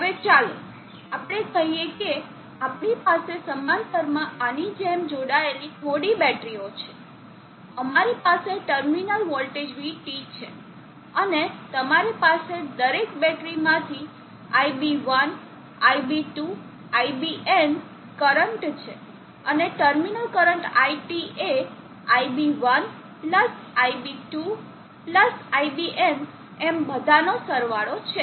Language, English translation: Gujarati, Now let us say that we have few batteries connected like this in parallel, we have the terminal voltage Vt and you have the Ib1, Ib2, Ibn currents from each of the battery and the terminal current It is somehow Ib1+Ib2+Ibn so on